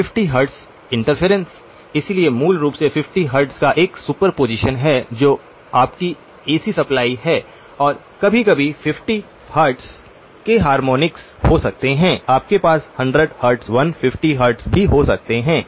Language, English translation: Hindi, 50 hertz interference, so basically there is a superposition of 50 hertz which is your AC supply and occasionally there could be harmonics of the 50 hertz, you may have 100 hertz, 150 hertz as well